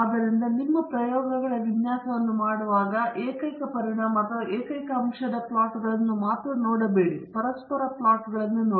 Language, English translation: Kannada, So, when you do your design of experiments, donÕt look at only the single effect or the single factor plots; look at the interaction plots